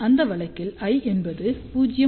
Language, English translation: Tamil, In that case l will become 0